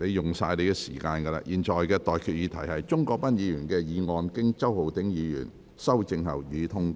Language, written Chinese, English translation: Cantonese, 我現在向各位提出的待決議題是：鍾國斌議員動議的議案，經周浩鼎議員修正後，予以通過。, I now put the question to you and that is That the motion moved by Mr CHUNG Kwok - pan as amended by Mr Holden CHOW be passed